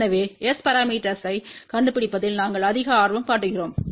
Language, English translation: Tamil, So, we are more interested in finding S parameter